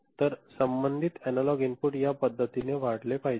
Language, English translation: Marathi, So, the corresponding analog input should increase in this manner ok